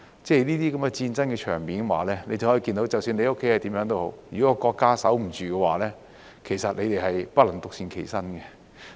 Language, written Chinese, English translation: Cantonese, 這些戰爭場面讓你知道，即使你的家是怎樣也好，如果國家守不住的話，你們也不能獨善其身。, These scenes of war show that no matter what your family is like you cannot be spared if your country is not well guarded